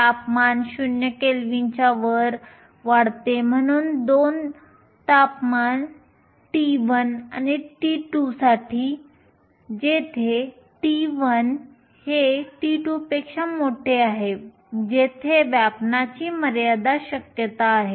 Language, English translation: Marathi, As temperature increases above 0 Kelvin, there is a finite probability for occupation also for 2 temperatures t 1 and t 2 where t 1 is greater than t 2